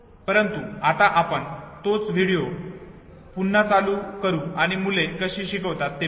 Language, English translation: Marathi, But now let us replay the same video and see how the child learns the rhymes